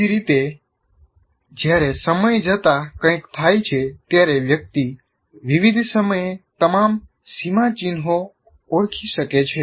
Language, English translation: Gujarati, Similarly, when something happens over time, one can identify all the milestone as of at various times